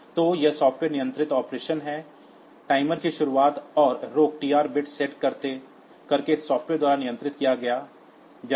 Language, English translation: Hindi, So, it is soft software controlled operation, the start and stop of the timer will be controlled by the software by setting the TR bit